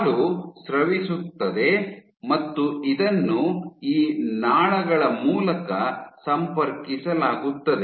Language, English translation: Kannada, So, milk is secreted and it is connected via these ducts